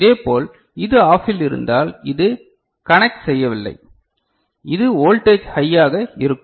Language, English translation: Tamil, Similarly, if it is OFF then this is not conducting so, this is the voltage will be high